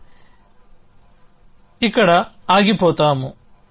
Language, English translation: Telugu, So, we will stop here